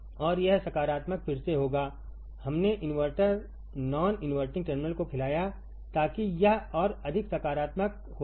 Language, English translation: Hindi, And this positive will again; we fed to the invert non inverting terminal making it more positive right